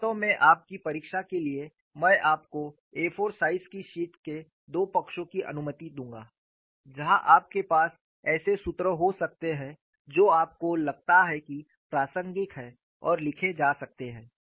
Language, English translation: Hindi, In fact, for your examination, I would allow you two sides of an A 4 size sheets, where you could have the formulae you think that are relevant can be written and come